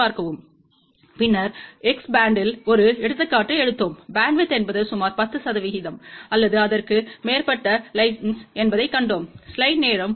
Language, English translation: Tamil, And then we had taken an example at X band and we had seen that the bandwidth is of the order of around 10 percent or so